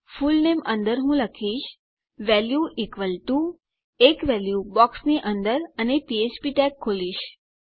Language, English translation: Gujarati, Under your fullname I am going to say value equal to a value inside the box and open up a phptag